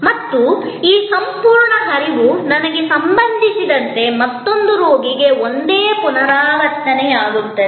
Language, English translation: Kannada, And this whole flow as it happen to me will be almost identically repeated for another patient